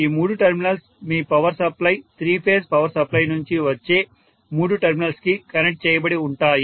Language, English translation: Telugu, These three terminals are going to actually be connected to the three terminals which are coming out of your power supply